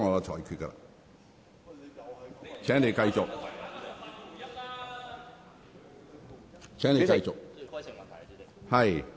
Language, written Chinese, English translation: Cantonese, 請你繼續發言。, Please continue to speak